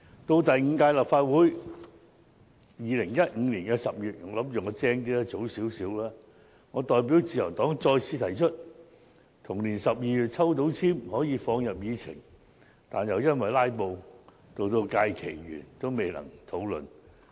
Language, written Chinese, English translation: Cantonese, 到第五屆立法會的2015年10月，我代表自由黨早一點再次提出議案，還以為自己很聰明，結果同年12月抽到籤可以放入議程，但又因為"拉布"，到該屆會期完結也未能討論議案。, In October 2015 in the fifth Legislative Council on behalf of the Liberal Party I proactively applied for a debate slot for this motion again . I thought that was a smart move . Although I was given by drawing lots a debate slot for my motion to be debated in December of the same year I was unable to do so and that Session ended due to filibustering again